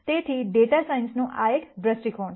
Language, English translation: Gujarati, So, this is one viewpoint from data science